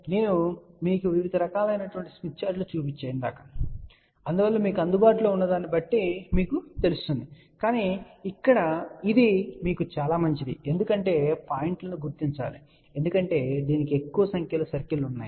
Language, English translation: Telugu, I have shown you different different types of Smith Charts so that you know depending upon what is available to you, but this one here is relatively better to you know look at because locate the points because it has a much larger number of circles